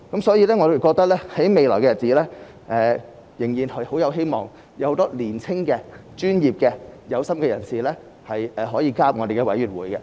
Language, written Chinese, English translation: Cantonese, 所以，我認為未來仍然甚有希望，有很多年青、專業和有心的人士可以加入政府的委員會。, Therefore in my view the future is still full of hopes . There are many young professional and aspiring people who may join the Governments committees